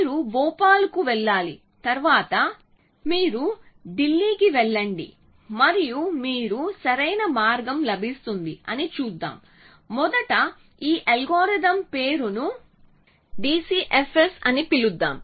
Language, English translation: Telugu, Let us see that that you have to go to you have to first go to Bhopal, then you go to Delhi and you will get the optimal path, so let us first reveal the name of this algorithm it is called d c f s